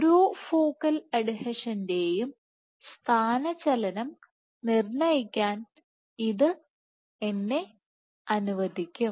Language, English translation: Malayalam, So, this would allow me to determine displacement of each focal adhesion